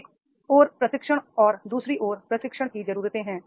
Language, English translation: Hindi, On the one hand and training needs on the other hand